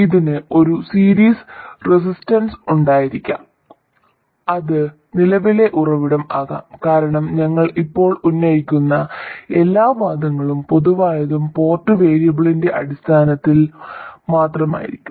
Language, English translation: Malayalam, It could have a series resistance, it could be a current source and so on because all the arguments we will make now will be general and in terms of only the port variables